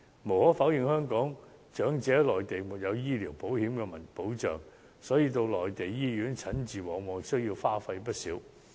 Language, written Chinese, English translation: Cantonese, 無可否認，由於香港長者在內地沒有醫療保險的保障，到內地醫院診治往往需要花費不少。, Indeed as Hong Kong elderly persons residing on the Mainland are not protected by medical insurance they have to spend a lot when seeking treatment in Mainland hospitals